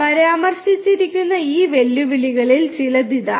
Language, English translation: Malayalam, Here are some of these challenges that are mentioned